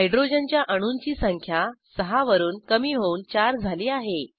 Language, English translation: Marathi, Number of Hydrogen atoms reduced from 6 to 4